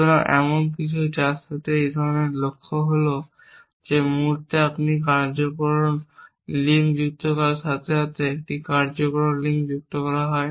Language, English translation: Bengali, So, something which is a kind of goal with is that the moment you added a causal link this a causal link we are added